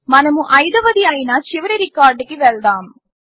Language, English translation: Telugu, Let us go to the last record which is the fifth